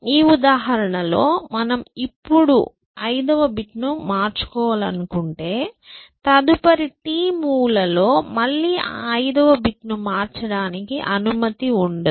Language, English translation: Telugu, In this example, we are saying that, if we are change, let us say the fifth bit now, then for the next t moves, I am not allowed to change that fifth bit essentially